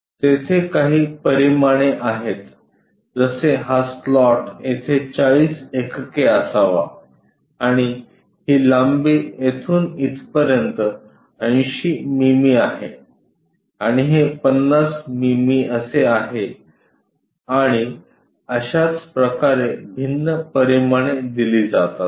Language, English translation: Marathi, There are certain dimensions like, this slot supposed to be 40 units here and this length is 80 mm from here to there and this is something like 50 mm and so on different dimensions are given